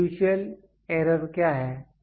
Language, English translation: Hindi, What is fiducial error